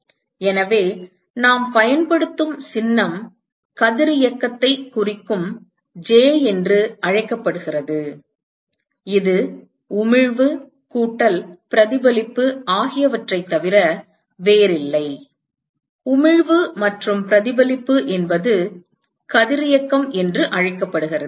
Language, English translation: Tamil, So, the symbol that we will use is called J which stands for radiosity and this is nothing but emission plus reflection, emission plus reflection is what is called as radiosity